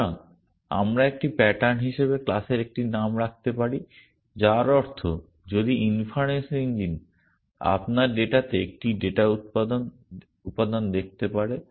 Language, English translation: Bengali, So, we can have just a name of the class as a pattern which means that if the inference engine can see one data element in your data